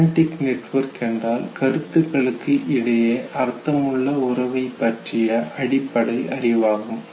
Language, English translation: Tamil, Now semantic network is nothing but it is basically a knowledge representing meaningful relationship among the concepts no